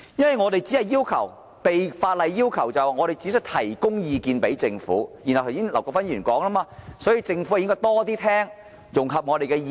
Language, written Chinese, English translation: Cantonese, 因為我們只是被法例要求向政府提供意見，因此正如劉國勳議員所說般，政府便應多聽取和融合我們的意見。, Since we are only required under the law to tender advice to the Government as Mr LAU Kwok - fan said the Government should pay more attention in listening and integrating the views expressed by members of DCs